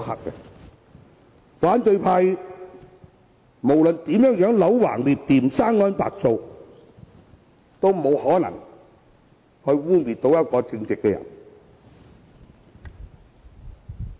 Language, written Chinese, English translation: Cantonese, 無論反對派如何"戾橫折曲"、"生安白造"，也不能成功污衊一個正直的人。, No matter how the opposition camp distorts and fabricates facts they can never succeed in smearing a righteous person